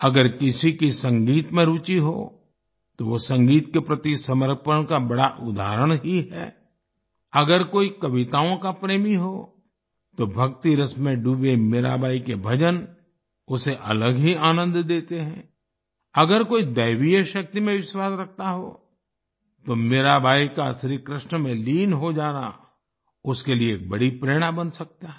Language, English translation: Hindi, If someone is interested in music, she is a great example of dedication towards music; if someone is a lover of poetry, Meerabai's bhajans, immersed in devotion, give one an entirely different joy; if someone believes in divine power, Mirabai's rapt absorption in Shri Krishna can become a great inspiration for that person